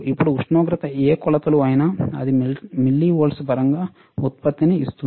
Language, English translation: Telugu, Now, whatever temperature is measures it gives the output in terms of millivolts